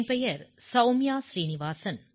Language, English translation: Tamil, I am Soumya Srinivasan